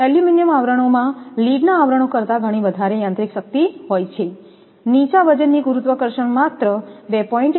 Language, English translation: Gujarati, Aluminum sheaths have a much greater mechanical strength than lead sheaths; low weight specific gravity is only 2